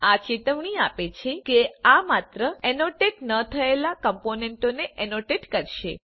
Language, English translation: Gujarati, This will warn you that it will annotate only the un annotate components